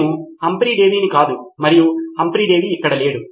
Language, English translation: Telugu, I am not Humphry Davy and Humphry Davy is not here anymore right